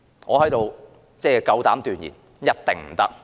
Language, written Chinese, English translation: Cantonese, 我夠膽斷言：一定不可以。, I dare say that it definitely cannot